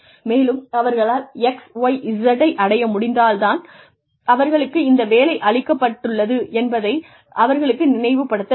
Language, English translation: Tamil, And, to remind them that, they have been given something, because they were able to achieve XYZ